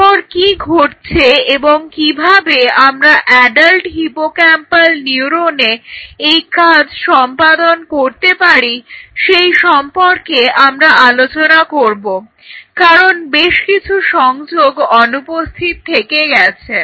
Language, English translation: Bengali, So, closing here we will continue this story after that what will happen and how we can translate it to the adult hippocampal neuron because there are some missing wonderful links